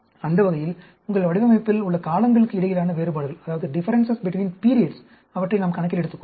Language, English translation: Tamil, That way we can take account of the differences between periods in your design